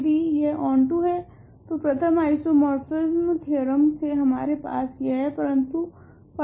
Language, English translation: Hindi, If it is onto we have this because of the first isomorphism theorem, but why is phi is onto, why is phi on to